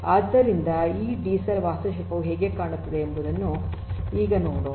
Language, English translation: Kannada, So, let us now look at this DCell architecture how it looks like